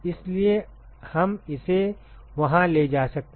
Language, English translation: Hindi, So, we can take it up there